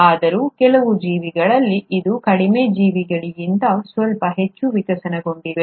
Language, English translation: Kannada, Yet, in some organisms, it’s a little more better evolved than the lower organisms